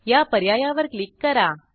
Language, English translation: Marathi, Click on the link